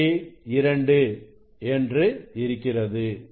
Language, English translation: Tamil, 6 reading is 2